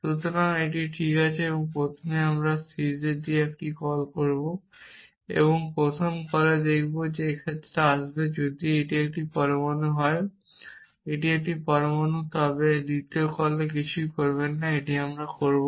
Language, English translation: Bengali, So, that is fine first we will make a call with sees and sees here in the first call this case will come if if this is an atom this is same atom then do nothing in the second call we will do this